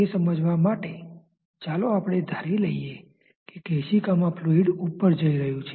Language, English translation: Gujarati, To understand that let us assume that the fluid is rising over the capillary